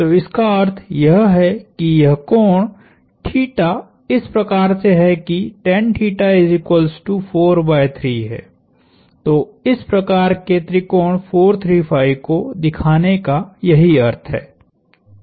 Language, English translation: Hindi, So, that is the meaning of showing this kind of a triangle 4, 3, 5 triangle